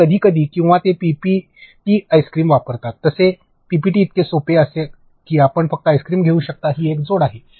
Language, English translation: Marathi, And, sometimes even or they use ice cream within PPT, like something as simple as PPT you can just take ice cream it is an add on